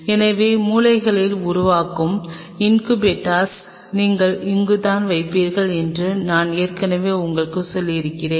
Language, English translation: Tamil, So, I have already told you that this is where you will be placing the incubators formed in the corners